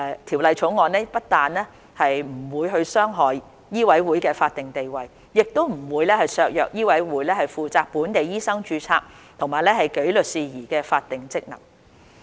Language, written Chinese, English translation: Cantonese, 《條例草案》不但不會傷害醫委會的法定地位，亦不會削弱醫委會負責本地醫生註冊和紀律事宜的法定職能。, The Bill will not compromise the statutory status of MCHK nor its statutory function in the registration and disciplinary regulation of doctors in Hong Kong